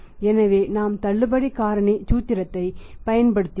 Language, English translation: Tamil, 8 147 so we have used the discount factor formula